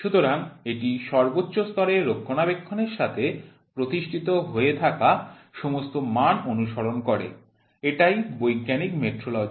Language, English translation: Bengali, So, it follows all the standard what is established with their maintenance at the highest level is a scientific metrology